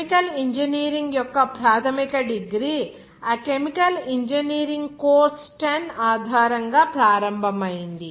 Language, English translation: Telugu, As a chemical engineering from that basic degree of chemical engineering started based on this course 10